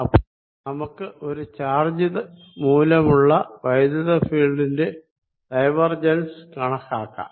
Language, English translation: Malayalam, so let us know calculate the divergence of the electric field due to a charge